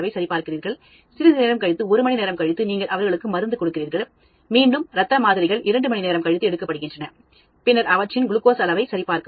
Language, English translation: Tamil, After sometime, one hour, you give the drug to them; again blood samples are taken, after two hours, and then check their glucose level